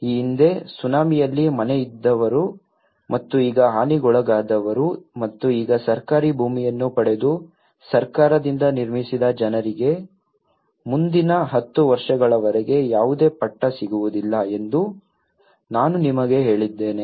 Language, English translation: Kannada, As I said to you that the people who had a house, earlier and which was damaged during tsunami and now, these people which who got in the government land and built by the government for the next ten years they donÃt get any Patta